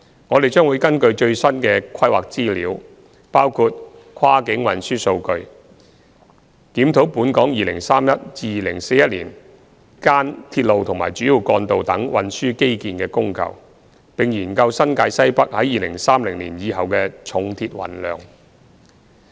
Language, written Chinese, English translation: Cantonese, 我們將會根據最新的規劃資料，包括跨境運輸數據，檢視本港2031年至2041年間鐵路和主要幹道等運輸基建的供求，並研究新界西北在2030年以後的重鐵運量。, Based on the latest planning information including cross - boundary transport data RMR2030 Studies will examine the demand and supply of the transport infrastructure including railways and major roads in Hong Kong between 2031 and 2041 and study the loading of the heavy rails in the Northwest New Territories beyond 2030